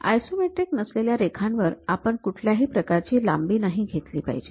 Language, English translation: Marathi, One has to count it in terms of isometric axis, we should not literally take any length on non isometric lines